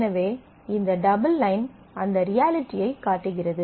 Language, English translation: Tamil, So, this double life shows that reality